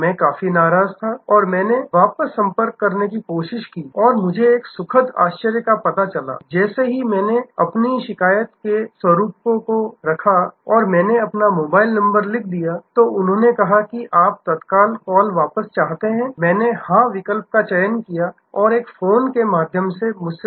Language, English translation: Hindi, I was quite annoyed and I try to contact back and I found to my pleasant surprise that there was as soon as I put in my nature of complaint and I put in my mobile number, then they said you want an immediate call back, I clicked yes and a call came through